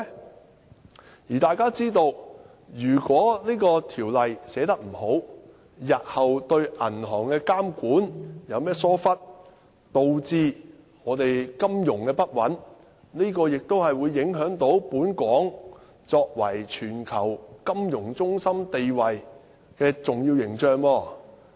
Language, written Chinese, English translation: Cantonese, 正如大家也知道，如果《條例草案》寫得不好，日後對銀行的監管有任何疏忽，導致金融不穩，亦會影響本港作為全球金融中心地位的重要形象。, As Honourable colleagues all understand if the Bill is poorly drafted resulting in any negligence in the regulation of banks and thus instability in the financial market the crucial image of Hong Kong as a global financial centre will be tarnished